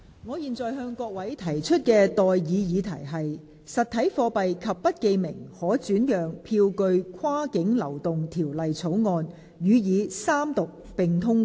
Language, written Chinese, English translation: Cantonese, 我現在向各位提出的待議議題是：《實體貨幣及不記名可轉讓票據跨境流動條例草案》予以三讀並通過。, I now propose the question to you and that is That the Cross - boundary Movement of Physical Currency and Bearer Negotiable Instruments Bill be read the Third time and do pass